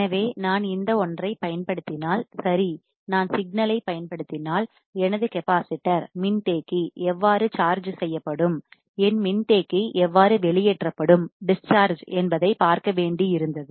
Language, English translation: Tamil, So, if I apply this one right, if I apply the signal, I had to see how my capacitor will charge and how my capacitor will discharge